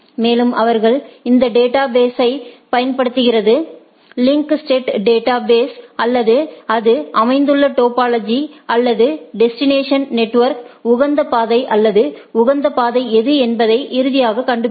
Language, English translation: Tamil, And, they using this database, link state database or the topology it constitute or it finds out that what is the optimal path or optimal route to the destination network right